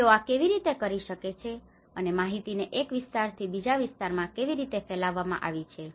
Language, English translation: Gujarati, How it can, how the information has been disseminated from one area to another area